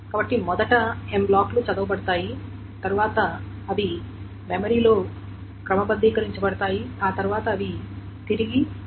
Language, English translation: Telugu, The first M blocks are red, then they are sorted in memory, then they are written back